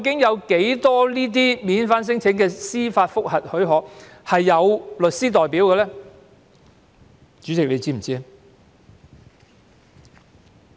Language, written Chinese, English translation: Cantonese, 有多少免遣返聲請司法覆核許可的申請人有律師代表呢？, How many applicants for leave to apply for judicial review for cases involving non - refoulement claims are represented by lawyers?